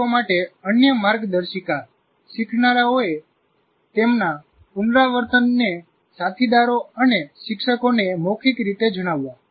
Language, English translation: Gujarati, And another guideline to teacher, have learners verbalize their rehearsal to peers and teachers